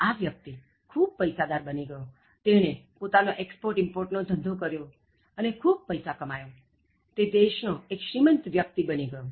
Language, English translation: Gujarati, So, this person becomes so rich he does this export import and earns lot of money and becomes one of the wealthiest persons in his country